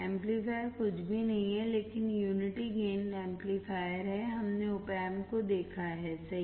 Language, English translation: Hindi, The amplifier is nothing but unity gain amplifier, we have seen the OP Amp right